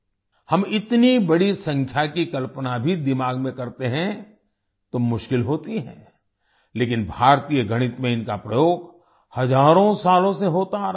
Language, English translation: Hindi, Even if we imagine such a large number in the mind, it is difficult, but, in Indian mathematics, they have been used for thousands of years